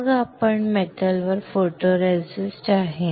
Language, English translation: Marathi, Then you have the photoresist on the metal